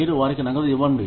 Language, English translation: Telugu, You give them cash